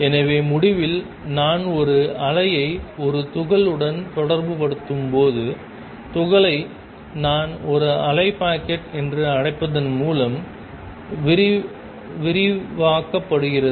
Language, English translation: Tamil, So, to conclude when I associate a wave with a particle: the particle, particle is described by what I call a wave packet